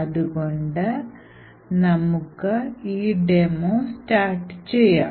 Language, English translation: Malayalam, So, lets, actually start this demo